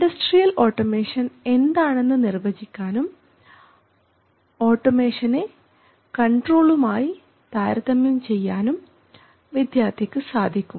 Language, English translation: Malayalam, He will be able to define Industrial automation what it is, he will be able to compare automation with control